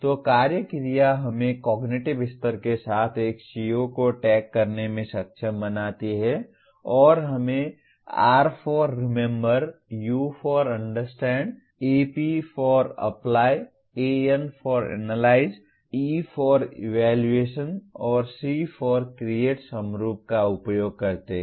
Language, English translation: Hindi, So the action verb enables us to tag a CO with the cognitive level and we use the acronyms R for Remember, U for Understand, Ap for Apply, An for Analyze, E for Evaluate and C for Create